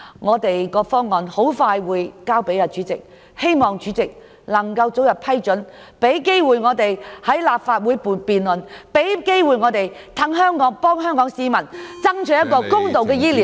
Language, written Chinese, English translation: Cantonese, 我們的方案即將提交主席處理，希望主席早日批准，讓我們有機會在立法會進行辯論，為香港市民爭取建立更公道的醫療制度。, We will soon submit our proposals to the President for consideration and hope that a permission will be granted as early as possible for the introduction of the proposed bill so that a debate will be held in this Council with a view to striving for a fairer healthcare system for the people of Hong Kong